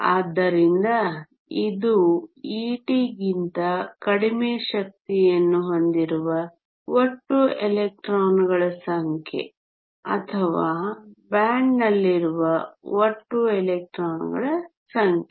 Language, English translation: Kannada, So, this is a total number of electrons with energy less than e t or the total number of electrons in a band